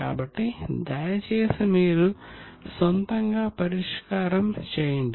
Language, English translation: Telugu, So, please make your solution